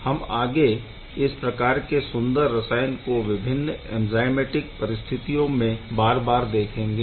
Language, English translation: Hindi, And we will see such beautiful chemistry once again or again and again in different enzymatic setup